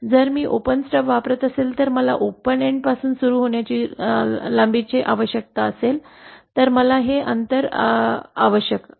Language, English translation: Marathi, If I am using an open stub then I would need a length of starting from the open end so then I would need this distance